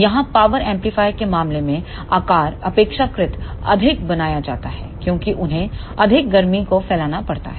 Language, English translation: Hindi, Here in case of power amplifier the size is made relatively more because they have to dissipate more heat